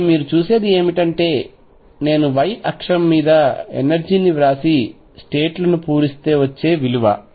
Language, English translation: Telugu, So, what you can see is that if I write the energy on the y axis and fill the states